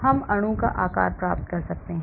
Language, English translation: Hindi, We can get the shape of the molecule